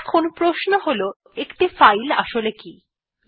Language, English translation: Bengali, Now the question is what is a file